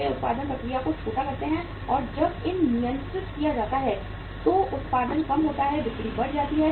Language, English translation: Hindi, They they shrinken the production process and when it is controlled production is reduced, sales are increased